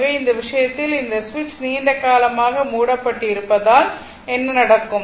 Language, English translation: Tamil, So, in this case, what will happen that switch is closed for long time ah this switch is closed for long time